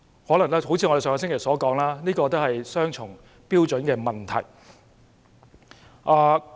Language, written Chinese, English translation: Cantonese, 可能正如我們上星期所說，這涉及他們雙重標準的問題。, May be as we said last week this involves the question of having double standards